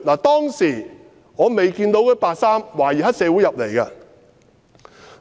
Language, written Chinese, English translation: Cantonese, "當時我未見到穿白衣的懷疑黑社會分子進入站內。, At that time I did not see white - clad suspected triad members entering the station